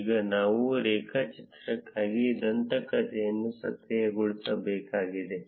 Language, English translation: Kannada, Now we would need to enable the legend for the graph